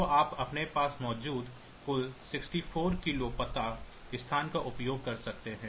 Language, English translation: Hindi, So, you can branch across the total 64 k address space that you have